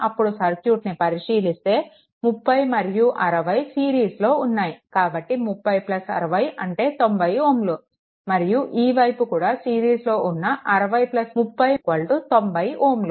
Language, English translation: Telugu, Now, look at that this 30 plus 60 this two are in series; so 30 plus 60 for this circuit is equal to 90 ohm, this side also this is 60 this is 30, so 60 plus 30 is equal to 90 ohm right